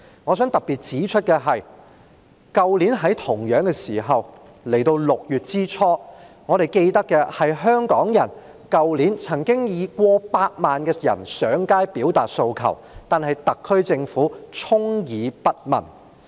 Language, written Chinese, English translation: Cantonese, 我想特別指出，去年同樣是這個時候，即是在6月初，我們記得曾經有過百萬香港人上街表達訴求，但特區政府充耳不聞。, I wish to point out in particular that around this time last year ie . in early June we can recall that millions of Hongkongers took to the streets to voice out their demands but the SAR Government turned a deaf ear to them